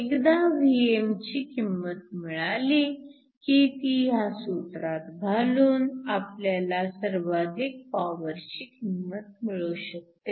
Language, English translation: Marathi, Once we know the value of Vm we can plug in this expression and get the maximum power